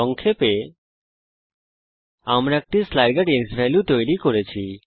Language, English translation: Bengali, To summarize, We made a slider xValue